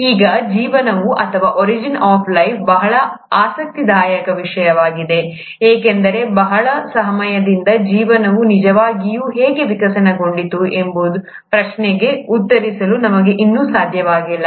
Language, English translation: Kannada, Now, life, or origin of life is a very intriguing topic because for a very long time, we still haven't been able to answer the question as to how life really evolved